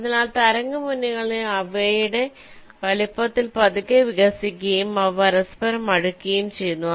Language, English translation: Malayalam, so the wavefronts are slowly expanding in their sizes and they are coming closer and closer together